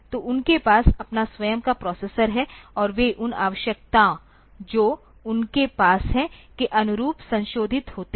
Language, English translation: Hindi, So, they have their own processor and they are modified to suit the requirement that they have